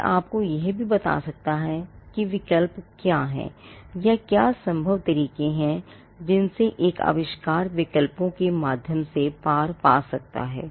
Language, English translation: Hindi, It can also tell you what are the alternates or or what are the possible ways in which a invention can be overcome through alternatives